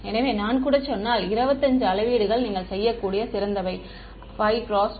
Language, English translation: Tamil, So, if I even say 25 measurements what is the best you could do 5 cross 5 right 5 cross 5